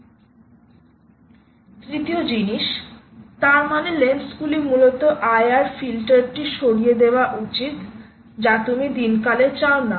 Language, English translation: Bengali, the third thing: that means the lens ah should basically ah remove the i r filter, which you don't want ah